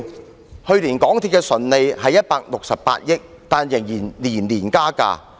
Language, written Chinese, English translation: Cantonese, 港鐵公司去年的純利為168億元，但仍然每年加價。, Despite the fact that MTRCL recorded a net profit of 16.8 billion last year it still raises its fares every year